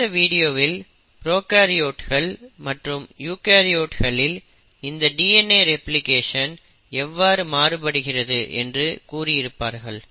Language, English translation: Tamil, There is another video which also will tell you if you are interested to know, what is the difference between DNA replication in prokaryotes versus eukaryotes